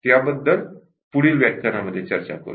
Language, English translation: Marathi, That will discuss in the next session